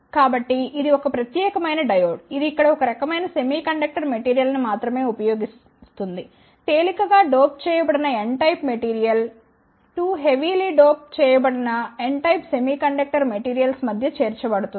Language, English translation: Telugu, So, this is a special kind of diode it uses only one type of semiconductor material here, the lightly doped N type of material is inserted between the 2 heavily doped, N type of semiconductor material